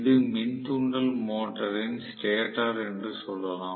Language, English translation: Tamil, Let us say this is the induction motor stator